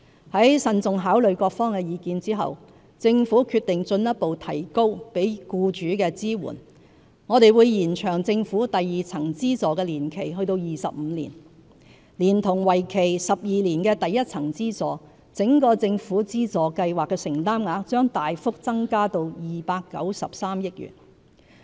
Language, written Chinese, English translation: Cantonese, 在慎重考慮各方的意見後，政府決定進一步提高給予僱主的支援，我們會延長政府第二層資助的年期至25年，連同為期12年的第一層資助，整個政府資助計劃的承擔額將大幅增加至293億元。, Having carefully considered the views of various parties the Government has decided to further enhance its support for employers . We will extend the period of the second - tier subsidy to 25 years . Together with the 12 - year first - tier subsidy the financial commitment of the entire government subsidy scheme will be significantly increased to 29.3 billion